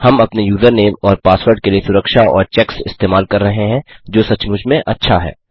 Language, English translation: Hindi, We are using security and checks for our username and password, which is really good